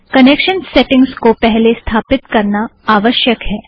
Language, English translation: Hindi, Connection settings have to be set first